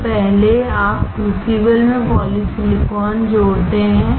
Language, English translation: Hindi, So, first you add polysilicon to the crucible